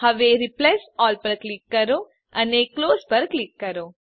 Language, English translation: Gujarati, Now click on Replace All and click on Close